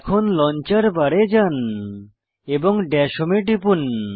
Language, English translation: Bengali, Lets go to the launcher bar and click on Dash Home